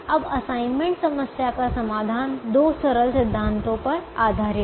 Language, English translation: Hindi, now, the assignment problem is: the solution to the assignment problem is based on two simple principles